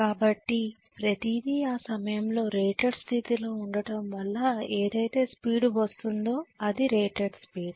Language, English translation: Telugu, So everything is at rated condition at that point whatever is the speed that is being achieved is rated speed